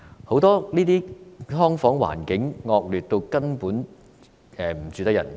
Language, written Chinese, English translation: Cantonese, 很多"劏房"環境根本惡劣至不適合人居住。, The conditions in many subdivided units are practically so terrible that they are uninhabitable